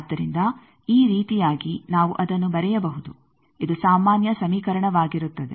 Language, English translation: Kannada, So, that just like this we can write that this will be the generic equation